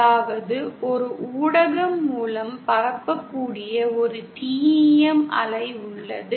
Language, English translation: Tamil, That is we cannot have there is a single TEM wave that can propagate through a medium